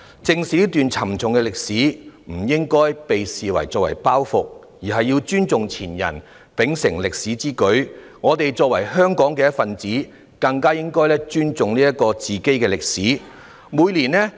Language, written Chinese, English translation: Cantonese, 正視這段沉重的歷史不應被視為包袱，應要尊重前人，秉承歷史之舉，而我們作為香港的一分子，更應尊重自己的歷史。, Instead of seeing it as a historical burden when we look back we should respect the predecessors and keep the inheritance . As members of the Hong Kong community we should respect our own history even more